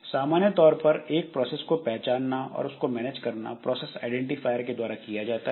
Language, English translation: Hindi, So, generally a process is identified and managed via a process identifier